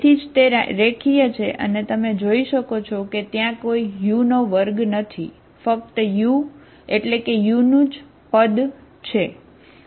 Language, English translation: Gujarati, So that is why it is, this is a linear, you can see that there is no u square, only u, u terms, okay